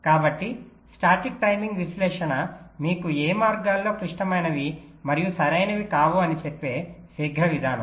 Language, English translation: Telugu, so static timing analysis will give you a quick way of telling which of the paths are critical and which are not right